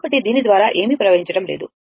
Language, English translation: Telugu, So, nothing is flowing through this